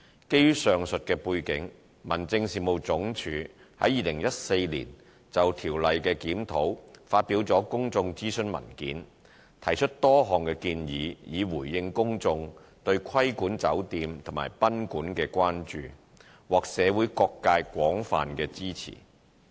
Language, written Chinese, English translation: Cantonese, 基於上述背景，民政事務總署於2014年就《條例》的檢討發表了公眾諮詢文件，提出多項建議以回應公眾對規管酒店及賓館的關注，獲社會各界廣泛支持。, Based on the above background the Home Affairs Department published a consultation paper in 2014 to gauge public views on various proposals to address the public concerns about hotels and guesthouses . Overwhelming public support was received